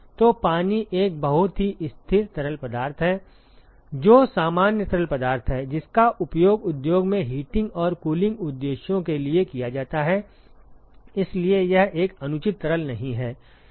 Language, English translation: Hindi, So, water is a very constant fluid that is normal fluid which is used in the industry for heating and cooling purposes, so that is not an unreasonable fluid